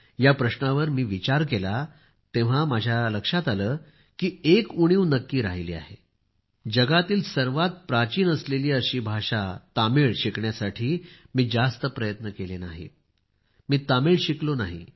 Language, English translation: Marathi, I pondered this over and told myself that one of my shortcomings was that I could not make much effort to learn Tamil, the oldest language in the world ; I could not make myself learn Tamil